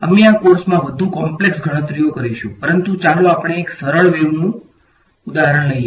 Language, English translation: Gujarati, We will do much more complicated calculations in this course, but let us just take a simpler wave example